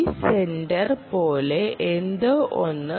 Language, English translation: Malayalam, something like this centre